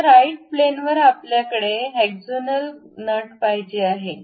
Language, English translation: Marathi, Now, on the right plane normal to that we want to have a hexagonal nut